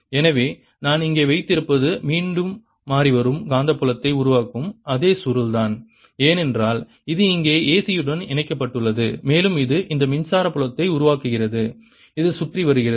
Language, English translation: Tamil, so what i have here is again the same coil that produces a changing magnetic field, because this is connected to the a c and it produces this electric field which is going around